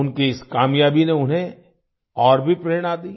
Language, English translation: Hindi, This success of his inspired him even more